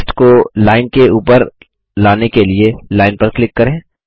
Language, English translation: Hindi, To move the text above the line, click on the line